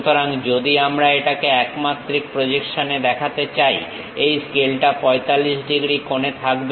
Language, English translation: Bengali, So, one dimensional projection if I want to really show it, this scale is at 45 degrees angle